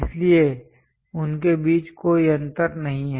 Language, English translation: Hindi, So, there is no gap in between them